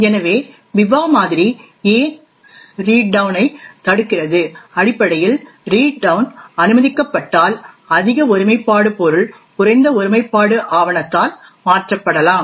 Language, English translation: Tamil, So why does the Biba model prevent read down, essentially if read down is permitted then a higher integrity object may be modified by a lower integrity document